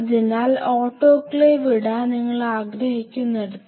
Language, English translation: Malayalam, So, and where you wanted to put the autoclave